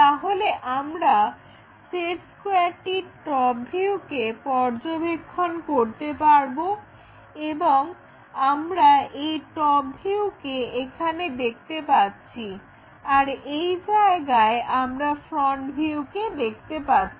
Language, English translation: Bengali, So, what you are actually observing is top view of that set square and that top view here we are seeing and that front view one is seeing there